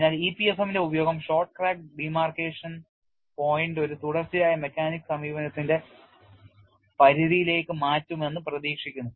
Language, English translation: Malayalam, So, the use of EPFM is expected to shift the short crack demarcation point to the limit of a continuum mechanics approach